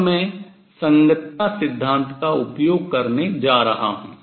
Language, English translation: Hindi, Now I am going to make use of the correspondence principle